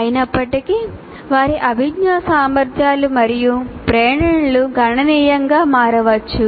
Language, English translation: Telugu, However, their cognitive abilities and motivations can considerably vary